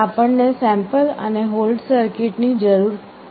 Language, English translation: Gujarati, Why do we need sample and hold circuit